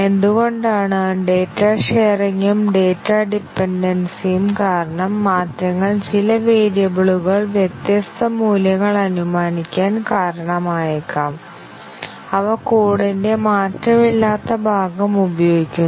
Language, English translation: Malayalam, Why is that, because of the data sharing and data dependency the changes may cause some variables to assume different values, which are used by the unchanged part of the code